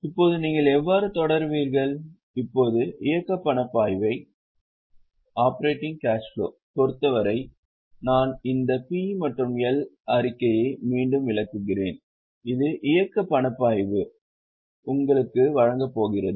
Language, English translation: Tamil, Now, as far as the operating cash flow is concerned, I am just going back, this P&L statement is what is going to give you operating cash flow